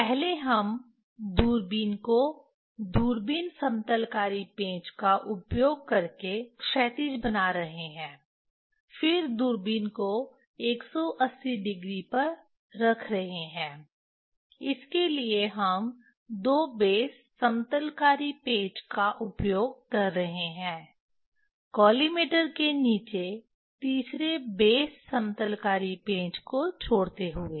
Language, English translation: Hindi, First telescope you are making, we are making horizontal using the telescope leveling screw, then telescope putting at 180 degree we are using the base two base leveling screw leaving the third base leveling screw below the collimator